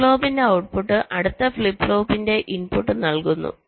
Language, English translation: Malayalam, the output of a flip flop is fed to the clock input of the next flip flop